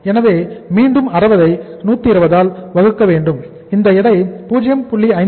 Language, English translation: Tamil, So this will be again 60 divided by 120 and thus this weight will be again 0